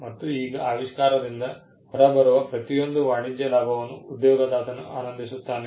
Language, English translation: Kannada, Now, every commercial gain that comes out of the invention is enjoyed by the employer